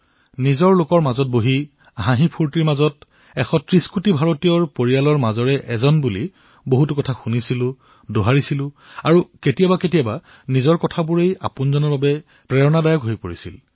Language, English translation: Assamese, It used to be a chat in a genial atmosphere amidst the warmth of one's own family of 130 crore countrymen; we would listen, we would reiterate; at times our expressions would turn into an inspiration for someone close to us